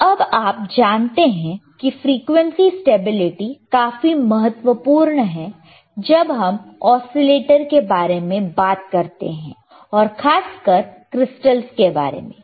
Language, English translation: Hindi, So, now you know that frequency stability is very important when we talk about the oscillators, and that particularly crystals